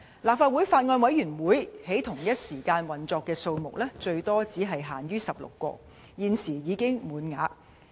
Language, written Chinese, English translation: Cantonese, 立法會法案委員會在同一時間運作的數目最多只限16個，而現時已滿額。, The maximum number of active Bills Committees of the Legislative Council is limited to 16 at any one time and the quota is currently full